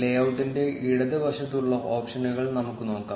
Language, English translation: Malayalam, Let us look at the options on the left of the layout